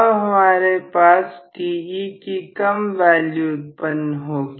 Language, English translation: Hindi, So, I am going to have less value of Te produced